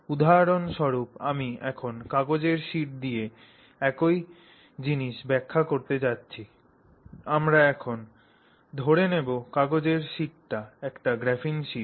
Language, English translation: Bengali, So, for example, I am now going to explain the same thing with a sheet of paper which we will pretend for the moment is a graphene sheet